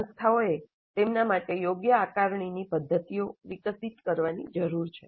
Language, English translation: Gujarati, Institutes need to evolve assessment methods best suited for them